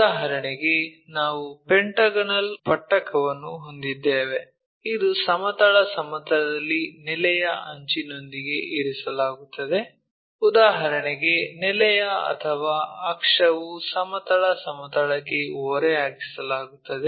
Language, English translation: Kannada, For example, here we have a pentagonal prism which is place with an edge of the base on horizontal plane, such that base or axis is inclined to horizontal plane